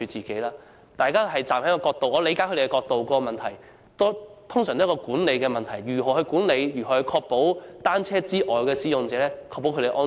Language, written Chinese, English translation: Cantonese, 我理解他們的角度，他們通常關注管理上的問題，即如何管理及確保單車使用者以外的其他使用者的安全。, We appreciate their concerns . They are usually concerned about management issues say how to manage and ensure the safety of users other than cyclists